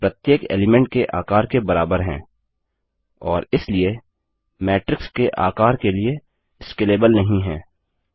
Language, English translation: Hindi, They are of the same size as each element, and hence are not scalable to the size of the matrix